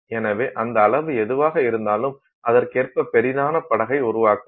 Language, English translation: Tamil, So, whatever is that size, no, whatever it is designed to magnify to, it would make a much larger boat